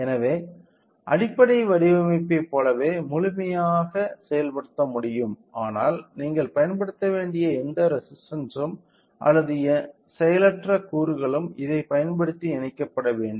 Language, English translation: Tamil, So, like the basic design can be completely implemented, but any resistance or any passive elements that you have to use has to be connected to connected using this